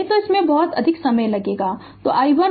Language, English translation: Hindi, So, otherwise it will consume more time; so, i 1 and i 2